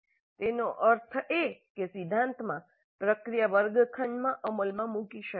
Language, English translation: Gujarati, That means in principle the process can be implemented in a classroom